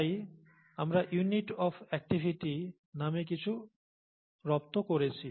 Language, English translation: Bengali, So we settle for something called units of activity